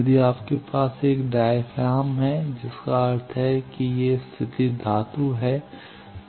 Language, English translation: Hindi, If you have a diaphragm that means, these positions are metal